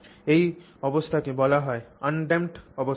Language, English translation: Bengali, So, that is called an undamped condition